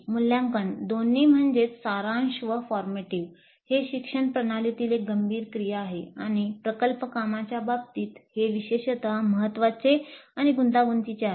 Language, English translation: Marathi, Assessment both formative and summative is a critical activity in education system and is particularly important complex in the case of project work